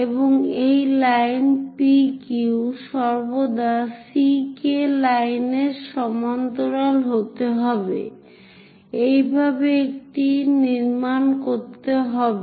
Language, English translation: Bengali, And this line P Q always be parallel to C K line, this is the way one has to construct it